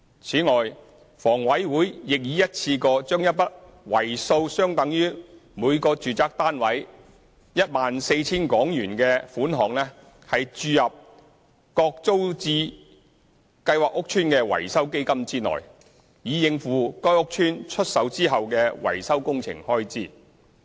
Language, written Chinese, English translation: Cantonese, 此外，房委會亦已一次過將一筆數額相等於每個住宅單位 14,000 元的款項注入各租置計劃屋邨的維修基金內，以應付該屋邨出售後的維修工程開支。, Besides HA has also made a one - off injection equivalent to 14,000 per residential unit to the Maintenance Fund for each TPS estate to meet the expenses of post - sale repairing works